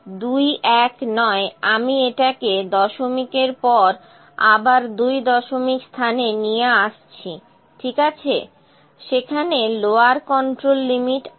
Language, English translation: Bengali, 219 so let me bring it back to the second place of decimal, ok, lower control limit is there